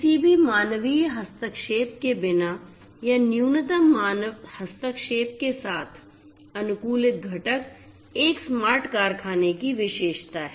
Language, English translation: Hindi, Optimized components optimized data without any human intervention or with minimal human intervention is a characteristic of a smart factory